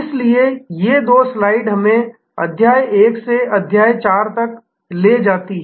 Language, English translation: Hindi, So, these two slides therefore take us from chapter 1 to chapter 4